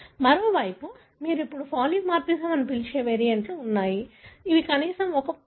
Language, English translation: Telugu, On the other hand, you have variants which you now call as polymorphism, which are present in at least 1% of the population